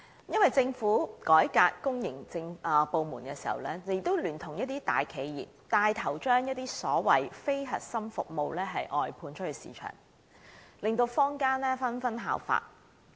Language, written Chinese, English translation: Cantonese, 因為政府改革公營部門時，聯同一些大企業帶頭將所謂非核心服務外判出市場，令坊間紛紛效法。, It was because in reforming the public sector the Government and some large enterprises took the lead in outsourcing the so - called non - core services to the market . This practice was followed by members of the community